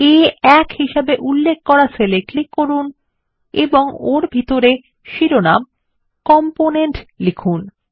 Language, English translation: Bengali, Now click on the cell referenced as A1 and type the heading COMPONENT inside it